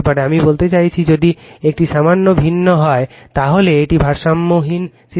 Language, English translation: Bengali, I mean if one is different slightly, then it is unbalanced system